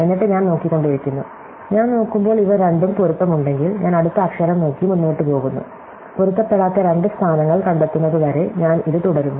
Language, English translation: Malayalam, And then I just keep looking, I look at them, if these two match, I look at the next letter and go on and I keep going until I find two positions which do not match